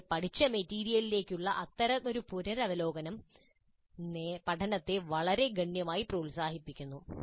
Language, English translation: Malayalam, Such a revisit to material learned earlier is known to promote learning very significantly